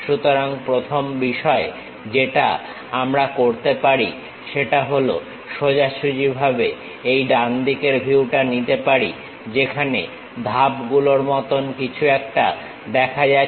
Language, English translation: Bengali, So, the first thing what we can do is straight away, pick this right side view something like steps are visible